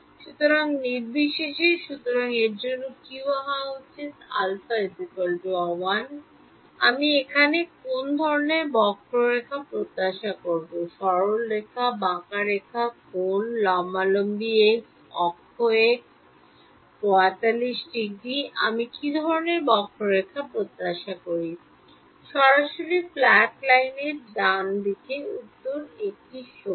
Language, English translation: Bengali, So, regardless of; so, what should this for when alpha is equal to 1 what kind of a curve I will expect here, straight line, curved line, angle, vertical to x axis, y axis, 45 degrees what kind of curve do I expect; straight flat line right answer is equal to 1 right